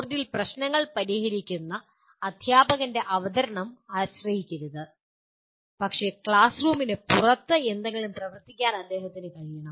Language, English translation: Malayalam, Do not depend on teacher making the presentation solving problems on the board, but he should be able to work something outside the classroom